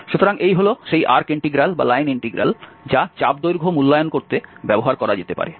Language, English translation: Bengali, So, and this becomes this arc integral or the line integral which can be used to evaluate the arc length